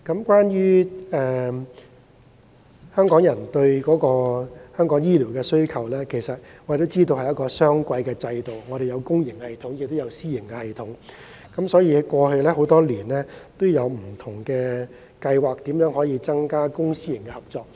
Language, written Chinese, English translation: Cantonese, 關於香港人的醫療需求，大家都知道，香港實行雙軌制度，有公營系統，也有私營系統，多年來政府曾推出不同的計劃，嘗試增加公私營合作。, Regarding Hong Kong peoples demand for health care services we all know that Hong Kong has a dual - track system comprising a public system and a private system and the Government has introduced different schemes to increase public - private partnership over the years